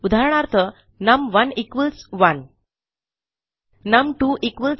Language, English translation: Marathi, So for example num1 = 1 num2 = 2